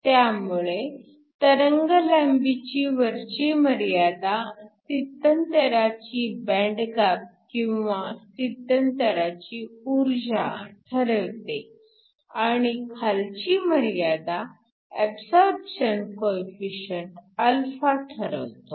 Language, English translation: Marathi, So, the higher wavelength regime is determined by the band gap of the transition or the energy of the transition and the lower wavelength regime is determined by α